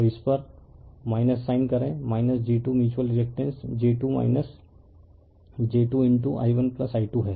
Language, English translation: Hindi, So, minus sign so, minus j 2 mutual your reactance is j 2 minus j 2 into i 1 plus i 2